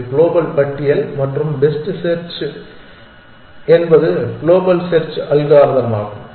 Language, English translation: Tamil, It is a global list and best first search is a global search algorithm